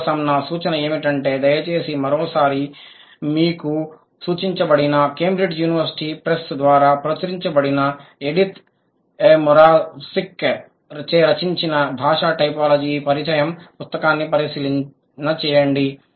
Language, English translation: Telugu, My suggestion for you would be please go back and check the book that has been referred introducing language typology by Edith Morabsik published by Cambridge University Press and when you read you will find out more data and these concepts are going to be clearer to you